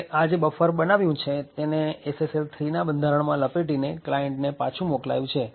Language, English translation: Gujarati, Now, this buffer which has just created is wrapped in the SSL 3 structure and sent back to the client